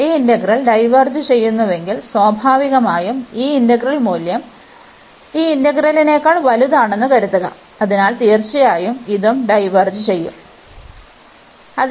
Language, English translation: Malayalam, So, if this integral diverges, so naturally this integral the value is suppose to be bigger than this integral, so definitely this will also diverge